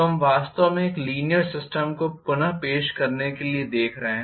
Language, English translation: Hindi, So, we are actually looking at reproduce a linear system